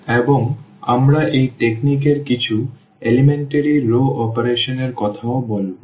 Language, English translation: Bengali, And, we will be also talking about in this technique some elementary row operations